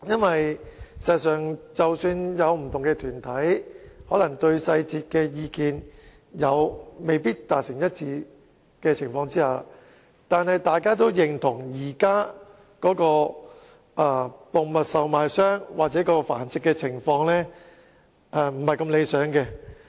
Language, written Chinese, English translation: Cantonese, 事實上，不同團體即使在細節上可能意見未能一致，但都認同現時動物售賣商或動物繁殖的情況並不理想。, In fact though different groups may not have unanimous views on the details they all agree that the current situation concerning animal traders or animal breeding is not satisfactory